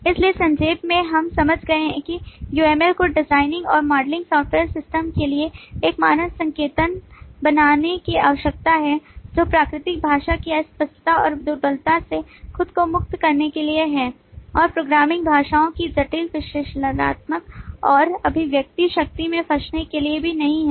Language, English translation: Hindi, so, to summarize, we have understood that uml is required to create a standard notation for designing and modelling software systems, to liberate ourselves from the vagueness and imprecision of natural language and also not to get trapped in the intricate analytical and expressive power of the programming languages